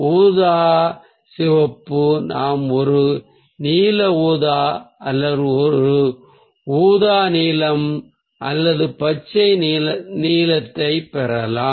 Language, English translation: Tamil, we can get a bluish purple or a purplish blue or a greenish blue